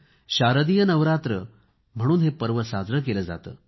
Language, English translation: Marathi, This is also known as Sharadiya Navratri, the beginning of autumn